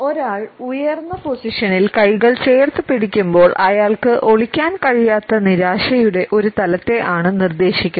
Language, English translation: Malayalam, He has clenched his hands in an elevated position, we suggest a level of frustration which he is unable to hide